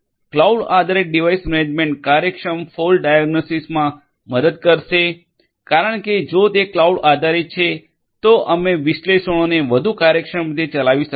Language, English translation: Gujarati, Cloud based device management will help in efficient fault diagnostics because if it is cloud based then we are going to run the analytics in a much more efficient manner right